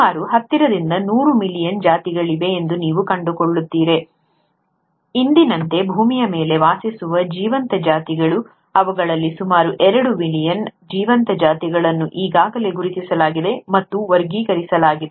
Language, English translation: Kannada, You find that there are close to about ten to hundred million species, living species living on earth as of today, of which about two million living species have been already identified and classified